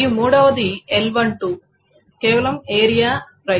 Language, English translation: Telugu, And the third one is L12 is simply area and price